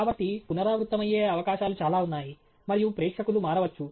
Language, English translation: Telugu, So, there is a lot of possibilities of repetition and the audience can change